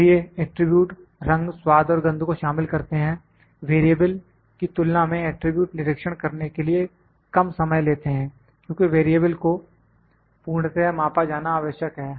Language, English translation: Hindi, So, the attributes these includes colour, taste and smell, the monitoring of attribute will be takes less time than variables, because variables needs to be measured completely